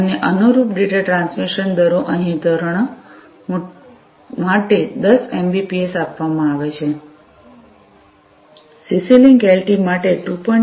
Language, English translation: Gujarati, And, the corresponding data transmission rates are given over here 10 mbps for standard 2